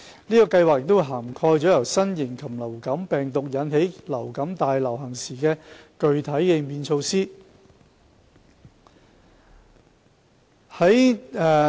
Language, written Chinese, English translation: Cantonese, 此計劃已涵蓋由新型流感病毒引起流感大流行時的具體應變措施。, The Plan has already covered the specific response measures during an outbreak of influenza pandemic caused by a novel avian influenza virus